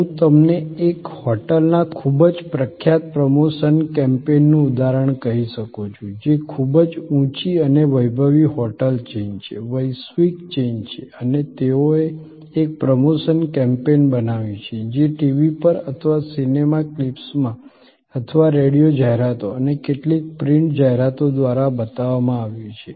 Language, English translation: Gujarati, I can tell you the example of a very famous promotion campaign of a hotel, which is a very high and luxury hotel chain, global chain and they created a promotion campaign which showed on TV or in movie clips or through radio ads and some print ads